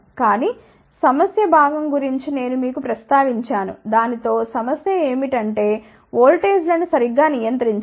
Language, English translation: Telugu, But I did mention to you about the problem part the problem with that is that the voltages have to be controlled properly